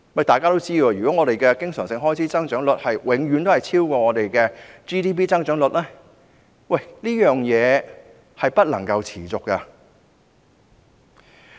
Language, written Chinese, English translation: Cantonese, 大家都知道，如果經常性開支的增長率永遠超越 GDP 的增長率，這是不能持續的。, As we all know it will not be sustainable if the growth rate of recurrent expenditure always exceeds that of GDP